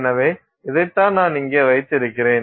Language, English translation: Tamil, So, this is what we are looking at